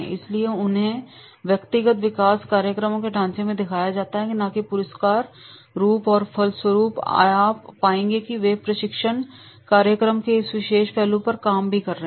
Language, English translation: Hindi, So, this is therefore they are proposed in the framework of the individual development programs and not as a reward and as a result of which you will find that is they are working on this particular aspects of the training program